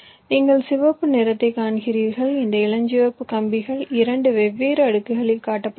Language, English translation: Tamil, you see red and this pink wires are shown on two different layers